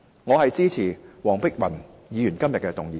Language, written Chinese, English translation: Cantonese, 我支持黃碧雲議員今天的議案。, I support the motion moved by Dr Helena WONG today